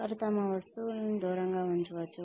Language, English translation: Telugu, They may put away their things, they may have